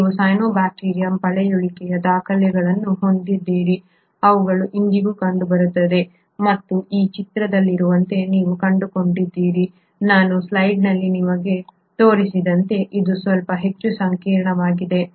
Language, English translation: Kannada, You have fossil records of cyanobacterium which are seen even today and you find as in this picture, as I show you in this slide, it is a little more complex